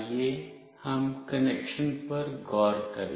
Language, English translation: Hindi, Let us look into the connection